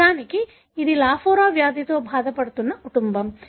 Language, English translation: Telugu, This is in fact, a family suffering from Lafora disease